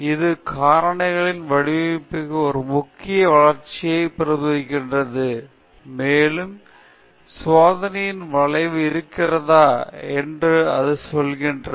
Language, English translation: Tamil, It also represents an important augmentation to the factorial design and it tells whether there is a curvature in the experimental response okay